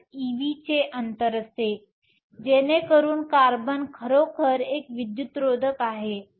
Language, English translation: Marathi, 5 e v, so that carbon is really an insulator